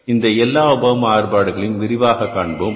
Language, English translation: Tamil, We have discussed those variances in detail